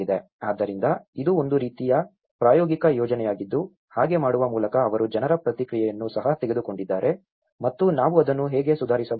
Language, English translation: Kannada, So, itís a kind of pilot project where by doing so they have also taken the feedback of the people and how we can improve it further